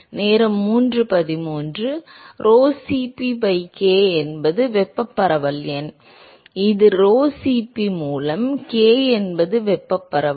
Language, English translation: Tamil, Rho Cp by k is thermal diffusivity no; it is k by rho Cp is thermal diffusivity